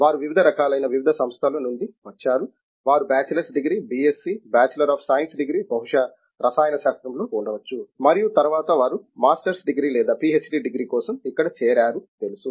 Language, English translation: Telugu, They come from a variety of different institutions where they would have done, you know bachelors degree, BSc, Bachelor of Science degree, maybe in chemistry and so on and then before they join here for a masters degree or a PhD degree